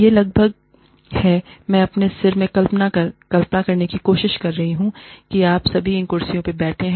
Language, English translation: Hindi, It is almost, I am trying to imagine in my head, that all of you, are sitting on these chairs